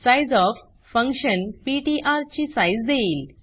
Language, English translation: Marathi, Sizeof function will give the size of ptr